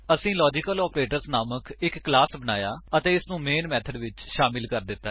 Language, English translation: Punjabi, We have created a class LogicalOperators and added the main method